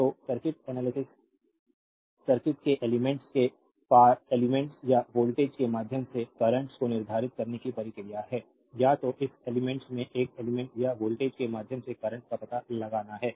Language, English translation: Hindi, So, circuit analysis is the process of determining the currents through the elements or the voltage across the elements of the circuit, either you have to find out the current through an element or the voltage across this elements right